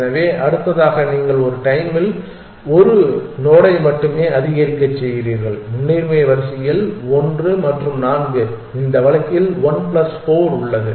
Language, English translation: Tamil, So, next on you go on incrementing only one node at a time is present in the priority queue one plus four in this case 1 plus 4